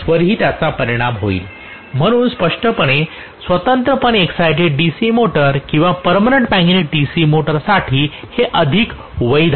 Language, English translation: Marathi, It will affect flux also so this is much more valid for a separately excited DC motor or a permanent magnet DC motor, clearly